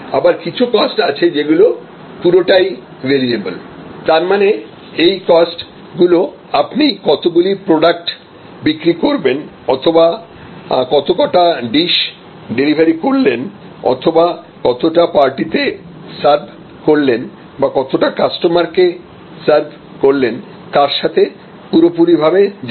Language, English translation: Bengali, Then of course, there are costs which are totally variable; that means, they are quite tightly tied to the number of units sold or number of dishes delivered or number of parties served or number of customer served and so on